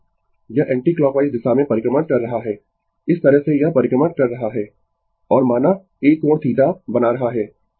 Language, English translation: Hindi, It is revolving in the anti your anticlockwise direction, this way it is revolving and suppose making an angle theta